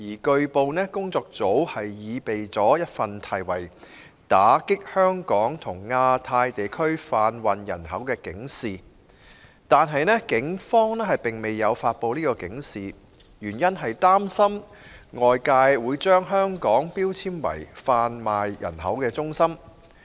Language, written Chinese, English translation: Cantonese, 據報，工作組擬備了一份題為《打擊香港和亞太地區販運人口》的警示，但警方未有發布該警示，原因是擔心外界會把香港標籤為販運人口中心。, It has been reported that the Taskforce prepared an alert called Combating Human Trafficking in Hong Kong and the Asia - Pacific Region but the Police have not published the alert for fear that it may lead to Hong Kong being labelled as a hub for human trafficking